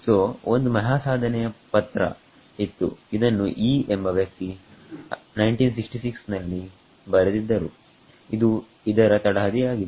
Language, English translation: Kannada, So, there was a landmark paper by the person called Yee 1966 which laid the foundation